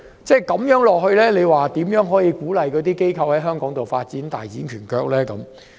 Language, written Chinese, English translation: Cantonese, 這樣如何能鼓勵這些機構在香港發展，大展拳腳呢？, Then how can we encourage the businesses to seek greater development here?